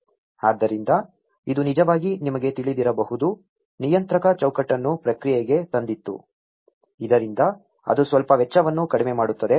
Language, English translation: Kannada, So, it can actually have you know, brought the regulatory framework into the process so that it can cut down some cost